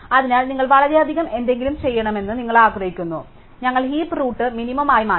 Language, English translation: Malayalam, So, you want have to do anything very much, we just have to change the heap rule to be minimum